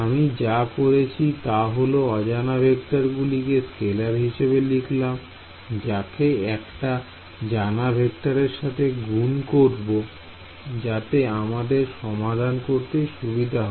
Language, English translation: Bengali, So, what I have done is unknown vectors I have written as scalar unknown multiplied by a known vector field that is easier to solve that everything being unknown right